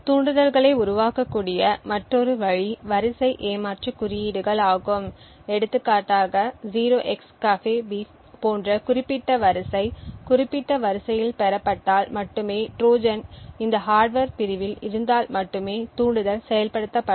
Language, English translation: Tamil, Another way triggers can be built is by sequence cheat codes for example if particular sequence such as 0xCAFEBEEF is obtained in specific sequence only then this particular Trojan if it is present in this hardware unit it would get activated